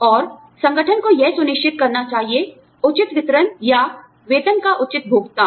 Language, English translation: Hindi, And, the organization should ensure, a fair distribution, or fair disbursement of salaries